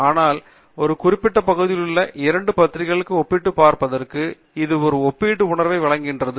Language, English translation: Tamil, But it gives you a relative sense to compare two journals in a particular area of research